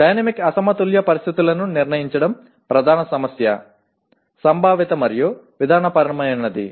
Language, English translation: Telugu, Determine dynamic unbalanced conditions is the main issue Conceptual and procedural